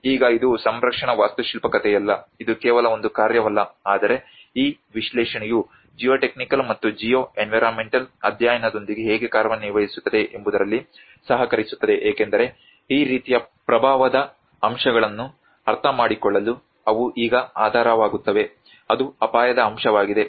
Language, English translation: Kannada, Now, it is not a story of a conservation architect, it is not only a task but how this analysis works with the geotechnical and the geoenvironmental studies also collaborate in it because they becomes the base now in order to understand the impact aspects of this kind of case that is risk aspect